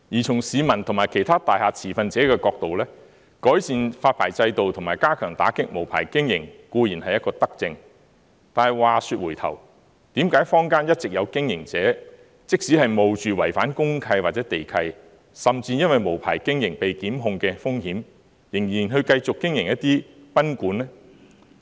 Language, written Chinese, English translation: Cantonese, 從市民及其他大廈持份者的角度而言，改善發牌制度及加強打擊無牌經營，固然是一項德政，但話說回頭，為何坊間一直有經營者，即使冒着違反公契或地契，甚至因為無牌經營被檢控的風險，仍然繼續經營賓館呢？, From the viewpoint of the public and stakeholders of the buildings concerned improvement of the licensing regime and the strengthening of the combat against unlicensed businesses is certainly a benevolent rule . Having said that why are there operators still taking the risk of being prosecuted for violating the deeds of mutual covenant or land leases and for operating unlicensed business by operating guesthouses?